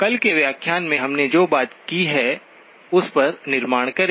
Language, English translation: Hindi, Build on what we have talked about in yesterday's lecture